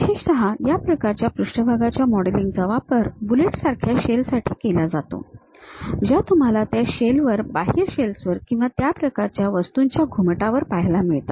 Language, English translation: Marathi, Especially, this kind of surface modelling is used for shells like bullets you would like to really see it on that shell, outer shells or domes that kind of objects